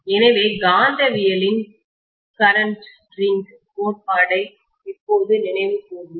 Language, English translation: Tamil, So we will just recall the current ring theory of magnetism